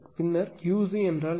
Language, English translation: Tamil, Then what is the Q c